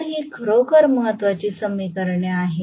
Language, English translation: Marathi, So, these are really really important equations